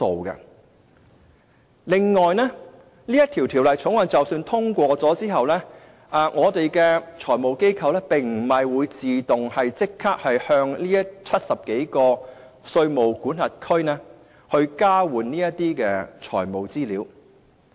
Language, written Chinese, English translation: Cantonese, 此外，即使《條例草案》獲得通過，我們的財務機構並不會自動立即與70多個稅務管轄區交換財務資料。, Moreover even if the Bill is passed our financial institutions will not automatically exchange financial information with more than 70 jurisdictions at once